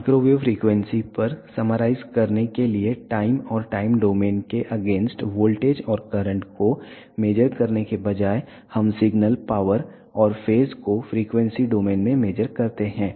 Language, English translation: Hindi, To summarize at microwave frequencies instead of measuring voltage and currents against time or in time domain we measure the signal power and phase in frequency domain